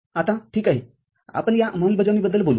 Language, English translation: Marathi, Now, well we talk about this implementation